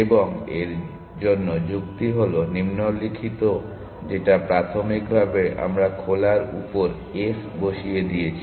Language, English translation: Bengali, And the argument for that is the following that initially we put s on to open